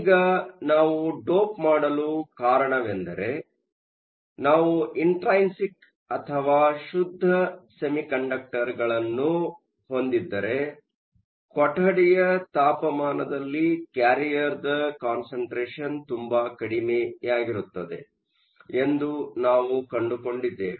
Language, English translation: Kannada, Now, the reason why we wanted to dope was, because we found out that if we had an intrinsic or a pure semiconductor, the carrier concentration at room temperature was very small